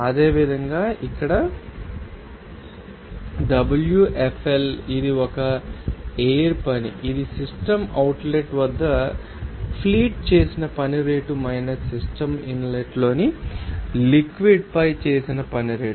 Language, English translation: Telugu, Similarly Wfl here this is a flow work that is rate of work done by the fleet at the system outlet minus the rate of work done on the fluid the system in inlet